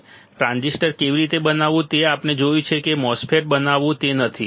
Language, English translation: Gujarati, And how to fabricate the transistor, we have seen how to fabricate a MOSFET is not it